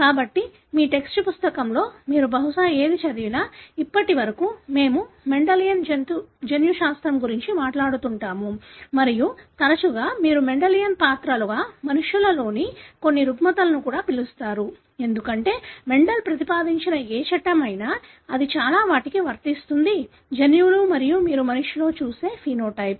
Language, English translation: Telugu, So, whatever probably you have studied in your text book, so far we talk about the Mendelian genetics and more often you call also some of the disorders in human as Mendelian characters because, whatever laws that Mender proposed, it applies even to many of the genes that and the phenotype that you see in the human